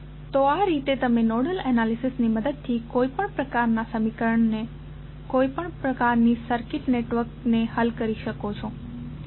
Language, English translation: Gujarati, So, with this way you can solve any type of any type of circuit network with the help of nodal analysis